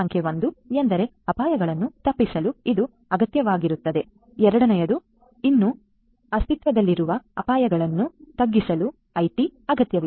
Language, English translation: Kannada, Number 1 is it is required to avoid the risks; second is IT is required to mitigate the risks that will be you know still existing